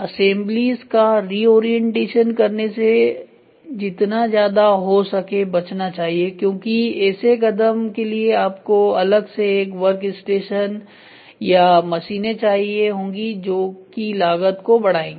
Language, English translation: Hindi, Avoid reorienting assemblies as much as such moves many require a separate workstation or machines thereby increasing the cost